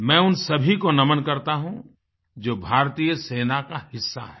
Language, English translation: Hindi, I respectfully bow before all of them who are part of the Indian Armed Forces